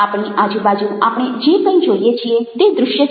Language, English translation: Gujarati, anything that we see around us is visual